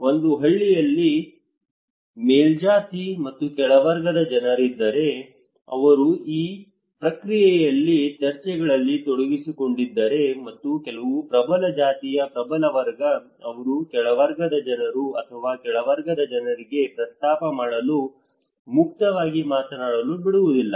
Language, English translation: Kannada, In case of in a village maybe there are upper caste and lower caste people, they are involving into this process in discussions and some of the dominant caste dominant class, they do not allow the lower caste people or lower class people to talk freely to propose any new topic or to suggest any new strategies